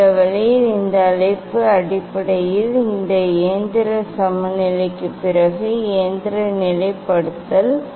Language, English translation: Tamil, this way this call basically, mechanical leveling after this mechanical leveling what are the next step